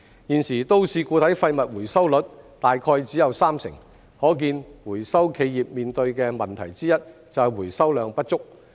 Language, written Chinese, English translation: Cantonese, 現時都市固體廢物回收率大約只有三成，可見回收企業面對的問題之一就是回收量不足。, Currently the MSW recovery rate is roughly 30 % only showing that one of the problems faced by the recycling enterprises is the inadequate recovery quantity